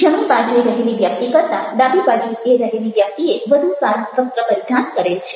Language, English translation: Gujarati, the person on the left hand side seems to be better dressed than the person on the right hand side